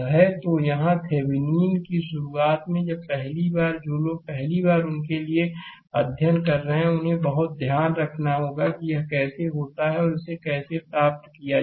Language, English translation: Hindi, So, here Thevenin’s initially when first time those who are studying first time for them just you have to be very care full that how you do it and how you can get it right